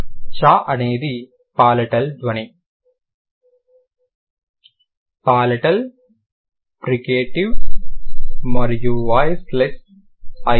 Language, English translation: Telugu, Chir is a palatal sound, palatal, africate and voiceless